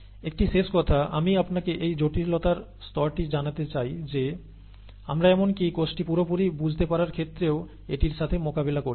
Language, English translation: Bengali, One last thing, I would like to leave you with this thought to tell you the level of complexity that we are dealing with even in understanding the cell completely